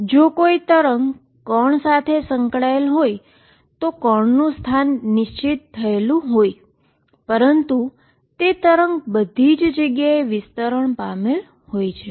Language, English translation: Gujarati, If there is a wave associated with a particle, particle is localized, but the wave is spread all over the place, where is the particle